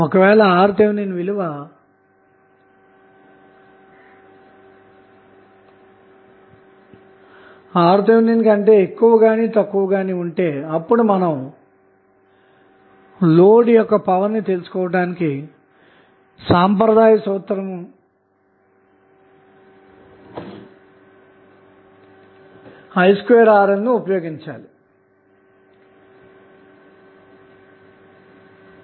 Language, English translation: Telugu, So, when the value is Rth value, Rl value is either more than Rth or less than Rth we have to use the conventional formula of I square Rl to find out the power being transferred to the load